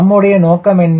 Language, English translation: Tamil, what is our aim we are